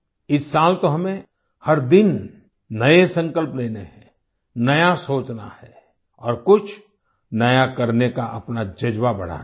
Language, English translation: Hindi, This year we have to make new resolutions every day, think new, and bolster our spirit to do something new